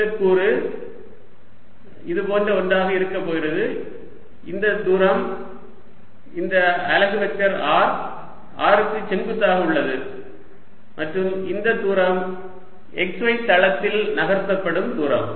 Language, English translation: Tamil, this element is going to look something like this: where this distance this is unit vector r is perpendicular to r and this distance is going to be distance moved in the x y plane